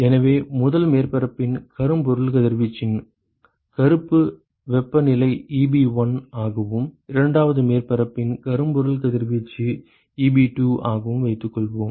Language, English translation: Tamil, So, supposing if the if the black temperature of of the blackbody radiation of the first surface is Eb1 and, the blackbody radiation of the second surface is Eb2 ok